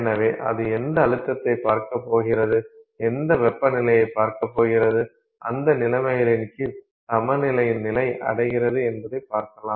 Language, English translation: Tamil, So, whatever pressure it is going to see, whatever temperature it is going to see, under those conditions, what is the equilibrium state of the system